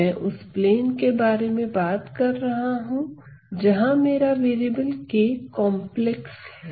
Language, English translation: Hindi, So, I am talking about a plane where I am I have the variables k being complex